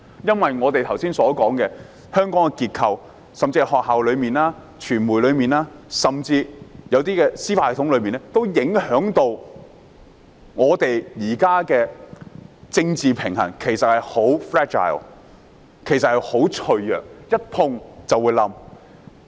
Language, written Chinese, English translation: Cantonese, 正如我們剛才提到，香港的結構，包括學校、傳媒甚至司法系統，影響香港現時的政治平衡，而政治平衡已十分脆弱，一碰便會崩潰。, As we have said just now the structure of Hong Kong including schools media and even the judicial system affects the existing political balance of Hong Kong . Our political balance is so fragile that it can easily collapse